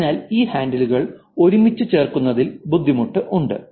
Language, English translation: Malayalam, So, there is difficulty in putting this handles together